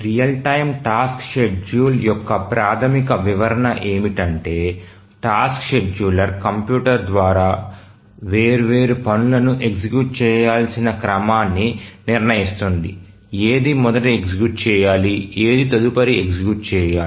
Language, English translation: Telugu, The most elementary description we'll say that the task scheduler decides on the order in which the different tasks to be executed by the computer, which were to be executed first, which one to be executed next, and so on